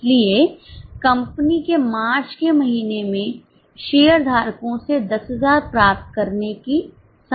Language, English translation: Hindi, So, company is likely to receive 10,000 from the shareholders in the month of March